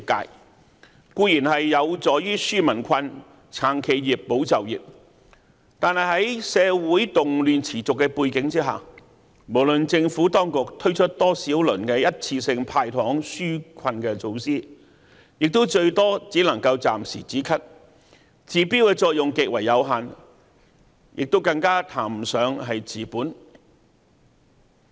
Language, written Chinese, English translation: Cantonese, 這些固然有助於紓民困、撐企業、保就業，但在社會動亂持續的背景下，無論政府當局推出多少輪一次性"派糖"紓困措施，也最多只能夠暫時"止咳"，治標的作用極為有限，更談不上治本。, These measures are certainly helpful to relieve the peoples hardship support businesses and safeguard jobs . But against the background of continued social unrest no matter how many rounds of one - off relief measures of handing out candies that the Government will implement they can only offer temporary solution which has limited effect in addressing the symptoms of the problem let alone its root cause